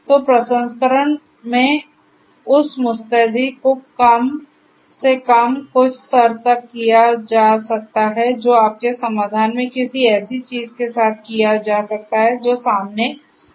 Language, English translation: Hindi, So, that promptness in the processing at least to some level that can be done with something in your solution that is coming up which is the fog